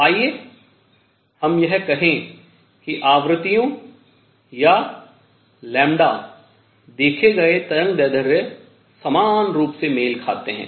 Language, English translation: Hindi, So, let us just say this that the frequencies or lambda equivalently matched with the observed wavelengths